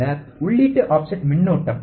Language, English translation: Tamil, Then the input offset current